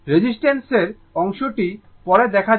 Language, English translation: Bengali, Reactance part we will see later